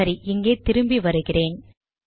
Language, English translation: Tamil, Okay lets come back here